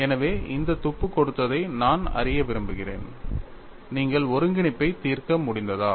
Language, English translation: Tamil, So, I would like to know having given this clue, have you been able to solve the integral